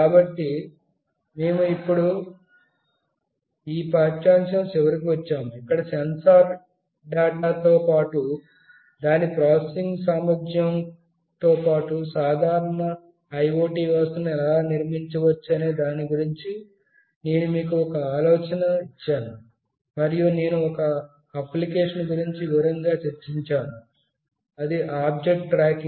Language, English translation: Telugu, So, we have come to the end of this lecture, where I have given you an idea of how an simple IoT system could be built along with its processing capability, along with sensor data, and I have discussed in detail about one of the applications that is object tracking